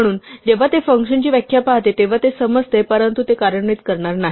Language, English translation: Marathi, So, when it sees the definition of a function, it will digest it but not execute it